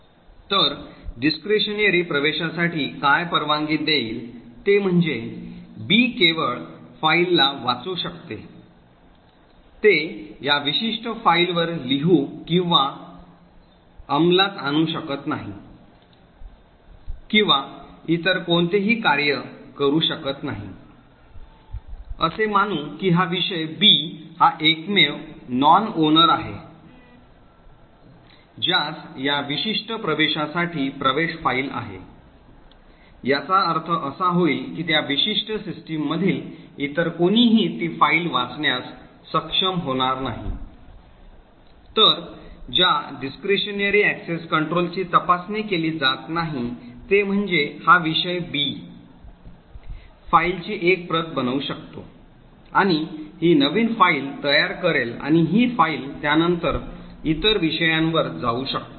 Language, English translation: Marathi, So what discretionary access control would permit is that B can only read to the file, it cannot write or execute or do any other operation on this particular file, further assuming that this subject B is the only non owner who has access to this particular file, it would mean that no one else in that particular system would be able to read the file, so what discretionary access control does not check is that this subject B could make a copy of the file and create a totally new file and this file can be then pass on to other subjects